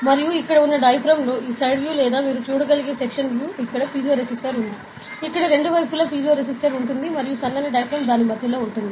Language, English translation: Telugu, And the diaphragm over here, this side view or a section view so, you can see there is a piezo resistor here, there will be a piezo resistor here on the both sides, and the thin diaphragm is between it